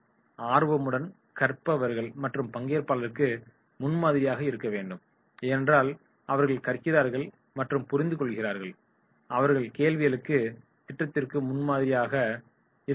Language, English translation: Tamil, They can be role models for the other participants because they are learning, they are understanding, they are answering questions, they are raising questions so therefore in that case they will be role models for this training program